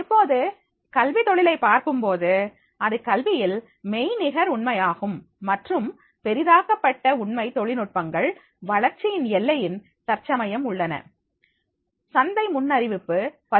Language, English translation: Tamil, Now, if you go through the education industry, so it is the virtual reality in education, virtual and augmented reality technologies are at the frontier of the development right now, the market is forecast to has already reached to the more than 13